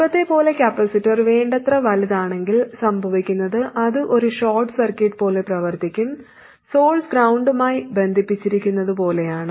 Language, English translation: Malayalam, Now as before, if the capacity is sufficiently large, what happens is that it will act like a short circuit and it is as though the source is connected to ground